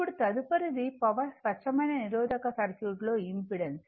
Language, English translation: Telugu, Now, next is the power, the impedance for a pure resistive circuit